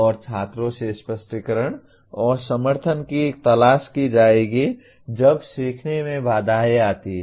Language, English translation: Hindi, And students will seek clarification and support when barriers to learning are encountered